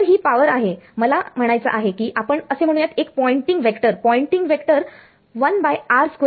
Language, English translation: Marathi, So, the power is this I mean let us say a Poynting vector the Poynting vector is going as 1 by r square right